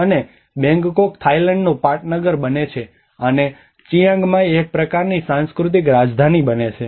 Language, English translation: Gujarati, And the Bangkok becomes a capital city of the Thailand and Chiang Mai becomes a kind of cultural capital